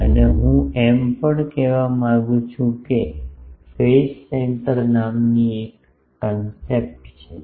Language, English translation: Gujarati, And, also I want to say that there is a concept called phase center